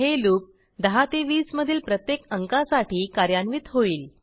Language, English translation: Marathi, The loop will execute for every number between 10 to 20